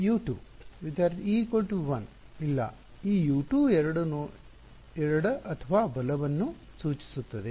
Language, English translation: Kannada, No the U 2 two enough this two refers to left or right